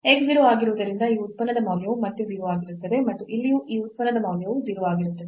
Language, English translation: Kannada, So, since x is 0 the value of this function is again 0 and here also the value of this function is 0 so, we have again 0